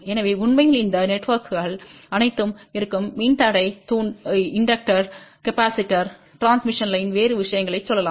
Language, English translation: Tamil, So in fact, all these networks will be reciprocal which have let us say resistor, inductor, capacitor, transmission line other thing